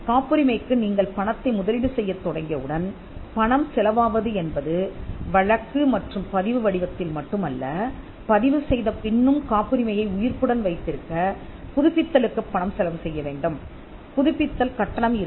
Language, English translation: Tamil, Once you start investing money into patenting then the money is like it will incur expenses not just in the form of prosecution and registration, but also after registration they could be money that is required to keep the patent alive through renewals; there will be renewal fees